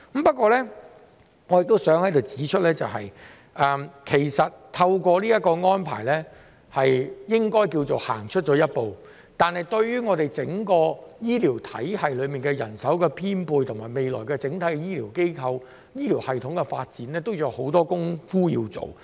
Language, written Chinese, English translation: Cantonese, 不過，我想在此指出，這個安排應該算是走出了一步，但對於整個醫療體系的人手編配，以及未來醫療機構、醫療系統的整體發展，仍有很多工夫要做。, However I wish to point out here that while this arrangement should be considered a step forward there is still a lot of work to be done in terms of manpower allocation for the entire healthcare system and the future development of the healthcare institutions and the healthcare system as a whole